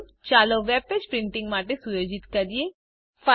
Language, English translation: Gujarati, First lets set up this web page for printing